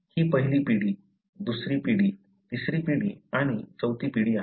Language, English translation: Marathi, This is first generation, second generation, third generation and fourth generation